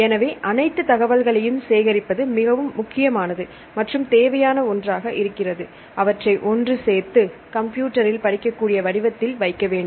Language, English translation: Tamil, So, it is very important and necessary to collect all the information, and put it together in a computer readable form